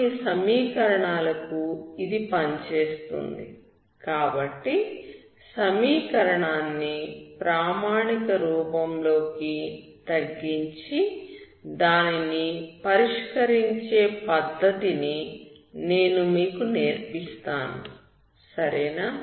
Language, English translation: Telugu, So for some equations it works, so I will give you the technique on how to reduce the equation into standard form and then solve it, okay